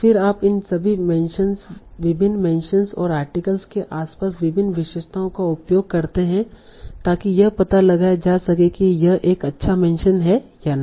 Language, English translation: Hindi, And then you use various features around these various mentions and articles to detect whether it's a good mention or not